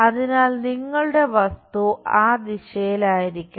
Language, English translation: Malayalam, So, your object supposed to be in that direction